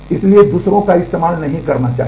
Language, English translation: Hindi, So, others should not use it